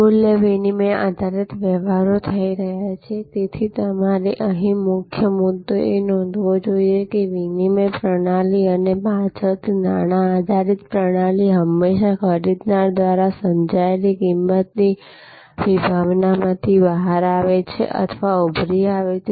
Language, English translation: Gujarati, So, the key point therefore, you should note here, that the barter system and the later on the money based system, always emerge or have emerge from the concept of value as perceived by the buyer